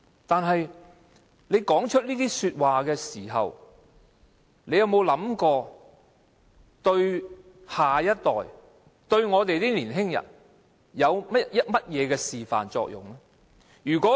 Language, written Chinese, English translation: Cantonese, 但是，他說出這些話時，有否想過會對下一代及年輕人有甚麼示範作用呢？, Yet did he ever think of what kind of example he had set for the next generation and the young people when making such remarks?